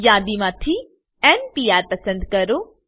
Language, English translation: Gujarati, Select n Pr for from the list